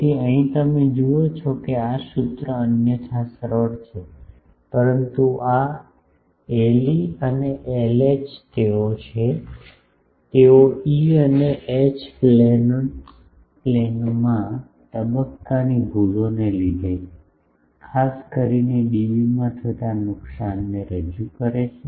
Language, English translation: Gujarati, So, he here you see that this formula otherwise simple, but this L e and L h they are the, they represent specifically the losses in dB, due to phase errors in the E and H planes of the horns